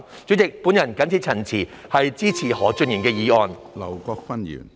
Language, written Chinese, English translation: Cantonese, 主席，我謹此陳辭，支持何俊賢議員的議案。, With these remarks President I support Mr Steven HOs motion